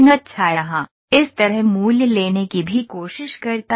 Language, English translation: Hindi, And so here theta also tries to take the value like value like this